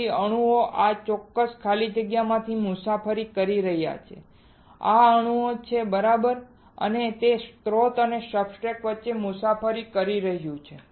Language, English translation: Gujarati, So, the atoms are traveling through this particular evacuated space these are atoms right and it is traveling between source and substrate